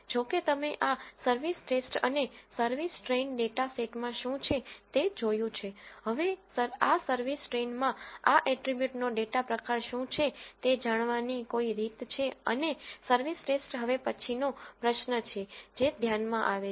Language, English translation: Gujarati, Since, you have viewed what is there in this service test and service train data sets, now is there any way to know what are the data types of the these attributes that are there in this service train and service test is the next question that comes to mind